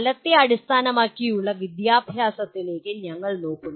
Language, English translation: Malayalam, Then we look at outcome based education